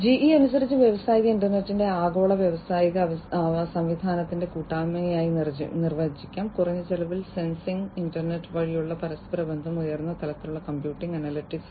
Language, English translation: Malayalam, So, according to GE industrial internet can be defined as the association of the global industrial system, with low cost sensing interconnectivity through internet and high level computing and analytics